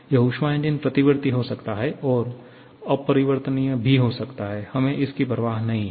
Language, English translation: Hindi, This heat engine can be reversible, can be irreversible, we do not care